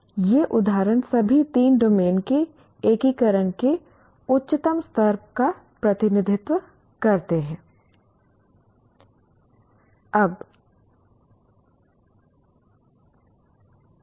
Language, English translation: Hindi, So these examples represent the highest levels of integration of all the three domains